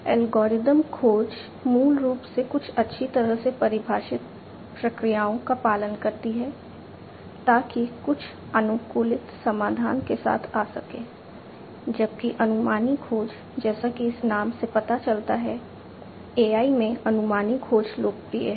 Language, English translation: Hindi, Algorithmic search basically follows certain well defined procedures in order to come up with some optimized solution whereas, heuristic search as this name suggests; heuristic search is popular in AI